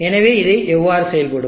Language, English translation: Tamil, So how will this operate